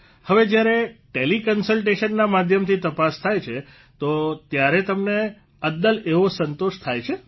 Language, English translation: Gujarati, Now if they do Tele Consultation, do you get the same satisfaction